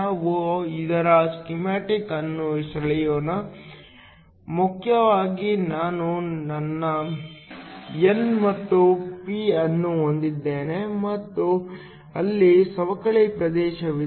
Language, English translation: Kannada, Let us draw schematic of that, main I have my n and the p and there a depletion region